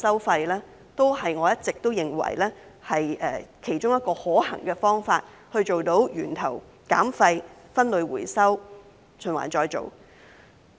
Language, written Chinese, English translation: Cantonese, 因此，我一直認為廢物收費是其中一個可行方法，可以做到源頭減廢、分類回收及循環再造。, Therefore I always think that waste charging is one feasible way to achieve waste reduction at source waste separation for recycling and recycling